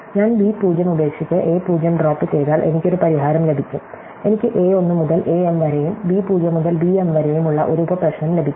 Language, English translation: Malayalam, So, if I leave b 0 and I drop a 0, then I get a solution, I get a subproblem which has a 1 to a m and b 0 to b m